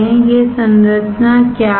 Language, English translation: Hindi, What is this structure